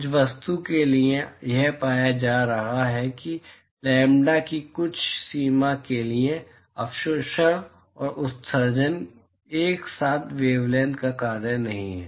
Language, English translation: Hindi, For certain object, it is being found that for some range of lambda, the absorptivity and emissivity simultaneously are not a function of the wavelength